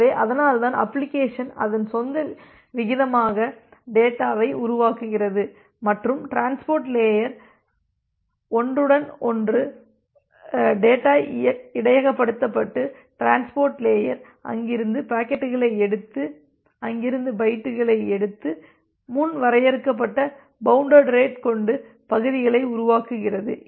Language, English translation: Tamil, So, that is why the application is generating data as its own rate and the data is being buffered at the transport layer buffer and the transport layer picks up the packets from there, picks up the bytes from the there and generate the segments with a predefined bounded rate